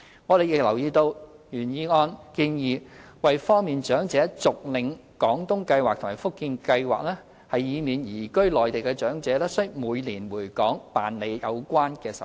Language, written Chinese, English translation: Cantonese, 我們亦留意到原議案建議要方便長者續領"廣東計劃"和"福建計劃"，以免移居內地的長者須每年回港辦理有關手續。, We have also noted that the original motion proposes facilitation of continuous collection of benefits under the Guangdong Scheme and the Fujian Scheme to obviate the need for elderly persons who have moved to the Mainland to return to Hong Kong every year for going through the relevant formalities